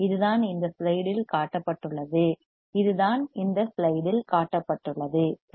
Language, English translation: Tamil, This is what is shown in this slide this is what is shown in this slide, right